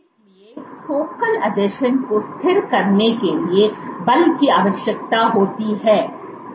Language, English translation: Hindi, So, force is required to stabilize focal adhesions